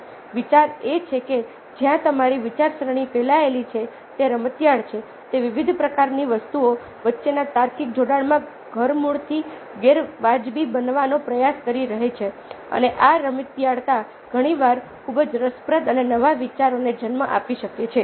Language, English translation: Gujarati, its playful, its trying to make radically ah unreasonable in logical connections between various kinds of things, and this playfulness very often can give rise to very interesting and new ideas